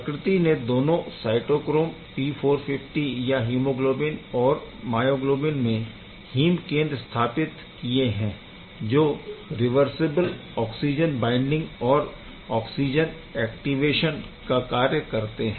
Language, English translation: Hindi, Nature has utilized heme center in both the cases as you can see both in hemoglobin and myoglobin and cytochrome P450 there is heme center for both reversible oxygen binding and oxygen activation